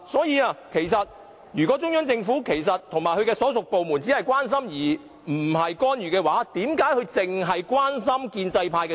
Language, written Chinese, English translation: Cantonese, 如果中央政府和其所屬部門只是關心，而非干預，為何他們只關心建制派選委？, If the Central Government and its departments only care but not interfere how come they only care about the pro - establishment EC members?